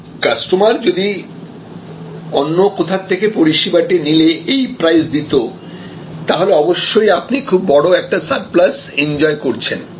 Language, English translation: Bengali, If the customer didnít buy your service would have paid this, then obviously, you enjoy a very huge surplus